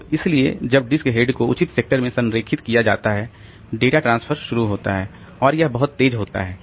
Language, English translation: Hindi, So, after the disk has been aligned, the disk head has been aligned to the proper sector, the data transfer starts and that is pretty fast